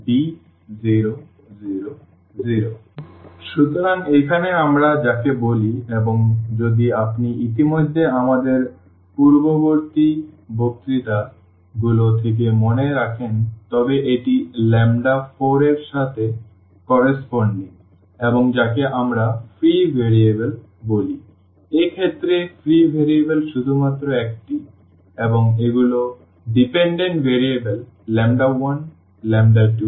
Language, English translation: Bengali, So, here that is what we call and if you remember already from our previous lectures this is corresponding to lambda 4 and which we call the free variables; free variable in this case only one and these are the dependent variables lambda 1, lambda 2, lambda 3